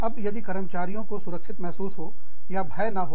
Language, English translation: Hindi, Now, if the employees feel safe, and not under threat